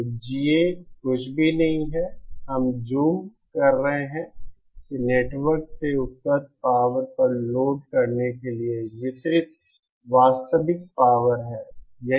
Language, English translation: Hindi, So GA is nothing, we are zooming that this is the actual power delivered to the load upon the power available from the network